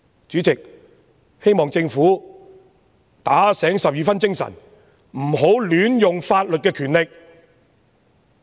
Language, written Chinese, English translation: Cantonese, 主席，我希望政府打醒十二分精神，不要亂用法律賦予的權力。, President I hope the Government will keep its mind fully alert not to arbitrarily exercise the powers conferred on it by law